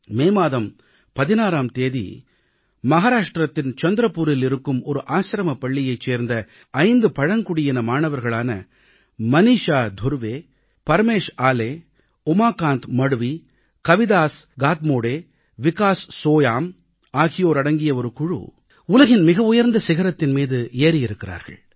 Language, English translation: Tamil, On the 16th of May, a team comprising five tribal students of an Ashram School in Chandrapur, Maharashtra Maneesha Dhurve, Pramesh Ale, Umakant Madhavi, Kavidas Katmode and Vikas Soyam scaled the world's highest peak